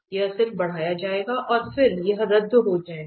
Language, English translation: Hindi, It will be just increased and then this will cancel out